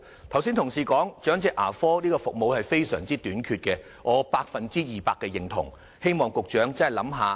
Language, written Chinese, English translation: Cantonese, 同事剛才說長者牙科服務非常短缺，我百分之二百認同，希望局長真的考慮一下。, I totally agree with a colleagues comment just now that elderly dental care services are seriously inadequate . I hope the Secretary can truly consider this issue